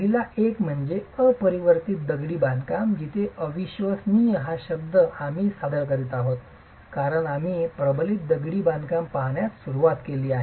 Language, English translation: Marathi, The first one is unreinforced masonry where the word unreinforced is something that we are introducing because we have started looking at reinforced masonry